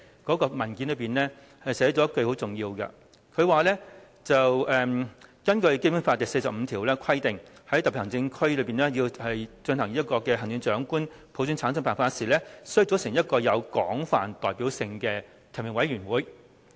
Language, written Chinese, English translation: Cantonese, 該文件中其中很重要的一句，就是"根據香港基本法第四十五條的規定，在香港特別行政區行政長官實行普選產生的辦法時，須組成一個有廣泛代表性的提名委員會。, A very importance sentence in the paper is in accordance with the provisions of Article 45 of the Hong Kong Basic Law in selecting the Chief Executive of the Hong Kong Special Administrative Region by the method of universal suffrage a broadly representative nominating committee shall be formed